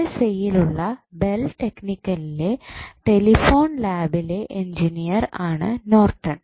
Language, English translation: Malayalam, So, Norton was an Engineer in the Bell Technical at Telephone Lab of USA